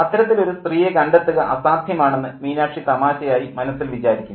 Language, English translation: Malayalam, And Minakshi funnily thinks that that woman is impossible to find